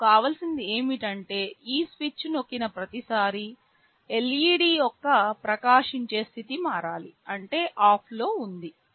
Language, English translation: Telugu, What I want is that every time this switch is pressed the glowing status of the LED should change; that means, on off on off like that